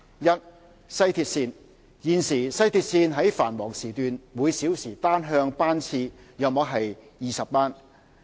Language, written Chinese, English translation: Cantonese, 一西鐵線現時，西鐵線於繁忙時段每小時單向班次約為20班。, 1 West Rail Line At present the number of WRL train trips per direction per hour during peak hours is 20